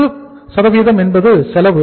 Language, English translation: Tamil, 90% is the cost